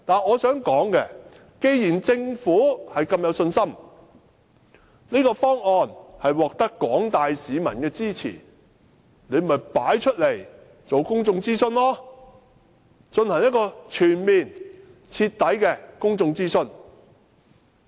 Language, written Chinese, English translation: Cantonese, 我想說的是，既然政府如此有信心，指這個方案獲得廣大市民支持，便應進行公眾諮詢，進行全面及徹底的公眾諮詢。, What I wish to say is that if the Government is very confident that this proposal has the support of the general public it should conduct a public consultation a comprehensive and thorough consultation